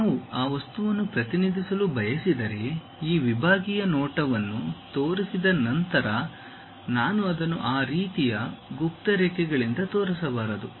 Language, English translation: Kannada, If I want to represent that material, after showing that sectional view I should not just show it by this kind of hidden lines